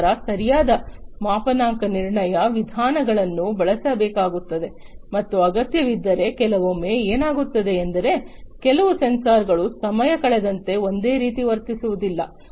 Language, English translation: Kannada, Then proper calibration methods will have to be used and if required sometimes what happens is certain sensors do not behave the same way over passage of time